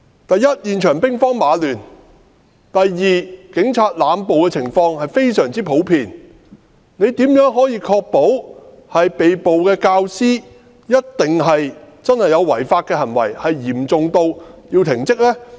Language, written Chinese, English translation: Cantonese, 第一，現場兵荒馬亂；第二，警察濫捕的情況非常普遍，他如何確保被捕的教師一定曾作出違法的行為，並且嚴重至需要停職呢？, First the situation at the scene was chaotic and confusing . Second indiscriminate arrests by the Police are common . How can he assert that the teachers arrested must have committed such a serious offence that warrants suspension from duty?